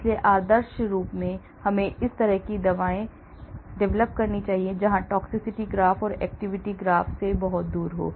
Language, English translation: Hindi, so ideally we should be having drugs like this, where the toxicity graph is far away from the activity graph